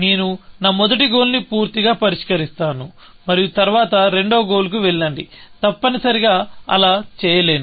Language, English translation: Telugu, It says, I will completely solve my first goal and then, go to the second goal, is not able to do that, essentially